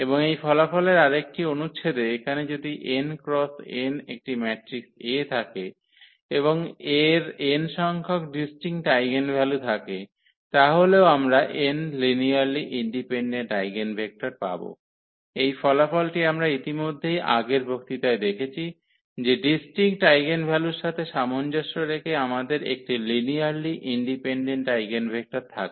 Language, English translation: Bengali, And another subsequence of this result we can we can have here if n is an n cross n matrix here A and it has n distinct eigenvalues, then also A is diagonalizable and then reason is clear, because if we have n distinct eigenvalues, then we will also get n linearly independent eigenvectors; that is a result we have already seen in previous lecture that corresponding to distinct eigenvalues we have a linearly independent eigenvectors